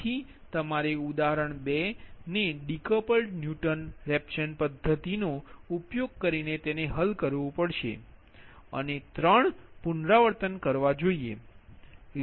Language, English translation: Gujarati, you have to solve that example two using decoupled newton rawson method and perform three iteration